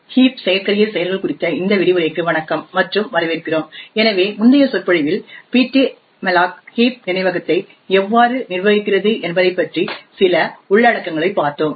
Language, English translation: Tamil, Hello and welcome to this lecture on heap exploits, so in the previous lecture we had looked at some of the internals about how ptmalloc manages the heap memory